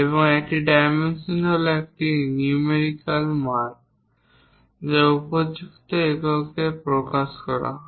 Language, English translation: Bengali, And, a dimension is a numerical value expressed in appropriate units